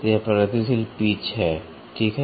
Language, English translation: Hindi, So, this is progressive pitch, ok